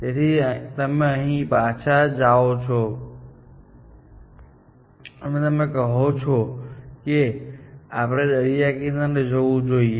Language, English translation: Gujarati, So, you back track from here, and you say, shall we go to the beach